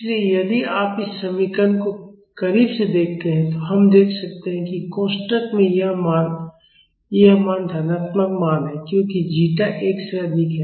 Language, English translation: Hindi, So, if you look at this equation closely, we can see that this value in the bracket this value this is a positive value because zeta is greater than 1